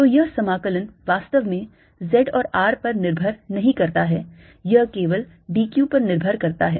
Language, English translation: Hindi, so this integration does not do really depend on z and r, it depends only on d q